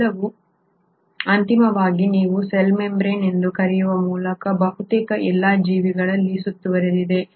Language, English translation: Kannada, All this is finally enclosed in almost all the organisms by what you call as the cell membrane